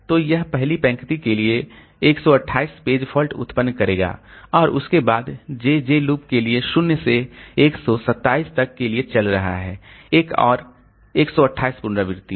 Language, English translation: Hindi, So, this will generate 128 page faults for the first row itself and then there are for the JA loop is running for 0 to 127